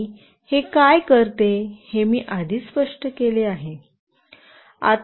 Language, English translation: Marathi, And what it does I have already explained